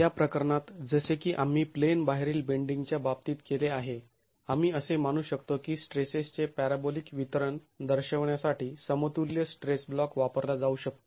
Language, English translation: Marathi, The compressed zone is now further reduced in this case like we did for the case of out of plane bending we can assume that an equivalent stress block can be used to represent the parabolic distribution of stresses